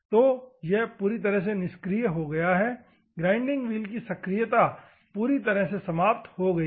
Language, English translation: Hindi, So, it is completely gone activeness of the grinding wheel is completely eliminated